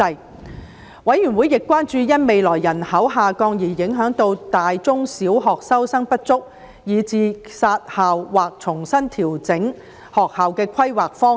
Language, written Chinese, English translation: Cantonese, 事務委員會亦關注到，因未來人口下降而影響到大學及中小學收生不足，以致要"殺校"或重新調整學校的規劃方向。, The Panel was also concerned about insufficient student enrolment in universities secondary schools and primary schools due to future decrease in population which would lead to school closure or readjustment of the planning direction of schools